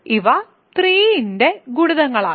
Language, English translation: Malayalam, These are multiples of 3